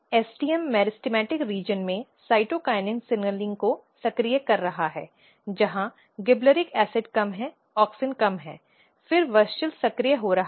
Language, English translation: Hindi, So, what is happening STM is activating cytokinin signaling in the meristematic region, where gibberellic acid is low auxin is low, then WUSCHEL is getting activated